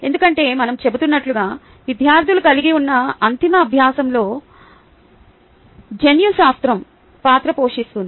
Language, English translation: Telugu, that is because, as we are saying, genetics do play a role in the ultimate learning students can have